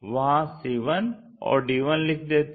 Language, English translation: Hindi, Let us join a 1 and b 1